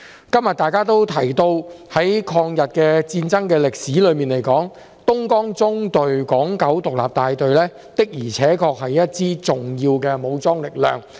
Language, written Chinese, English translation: Cantonese, 今天大家都提到，在抗日戰爭歷史中，東江縱隊港九獨立大隊的而且確是一支重要的武裝力量。, As Members have mentioned today the Hong Kong Independent Battalion of the Dongjiang Column was indeed an important armed force in the history of the War of Resistance